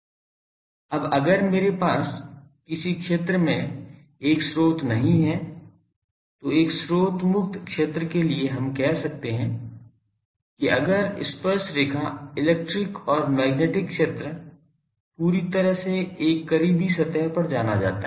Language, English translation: Hindi, Now if I do not have a source at some region, so for a source free region we can say that if the tangential electric and magnetic fields are completely known over a close surface